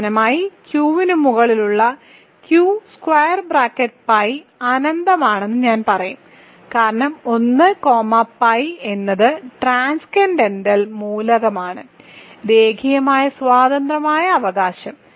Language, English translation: Malayalam, And finally, I will also say Q adjoined pi over Q is infinite, because 1 comma pi is the transcendental element is linearly independent right